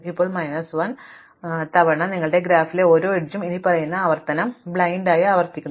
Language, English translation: Malayalam, Now, n minus 1 times you blindly repeat the following operation for every edge in your graph apply the distance updates